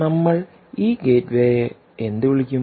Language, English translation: Malayalam, ok, what we will call this gateway